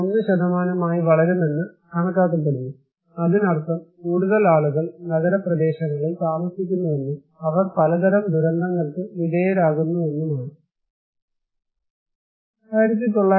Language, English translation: Malayalam, 1% that means more and more people are living in urban areas and they are exposed to various kind of disasters